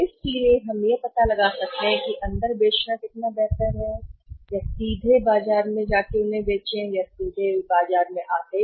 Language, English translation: Hindi, So, we can find out that is much better to sell in directly in the market order them directly in the market